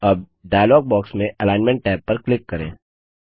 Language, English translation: Hindi, Now click on the Alignment tab in the dialog box